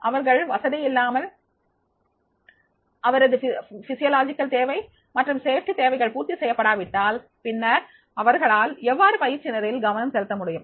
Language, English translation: Tamil, If they are uncomfortable, then their physiological needs and safety needs are not fulfilled, then how they will be able to concentrate in the training program and that is the purpose